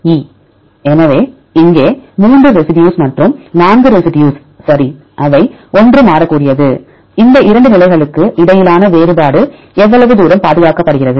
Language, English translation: Tamil, So, here also three residues here also four residues right, which one is variable which one is conserved how far the difference between these two positions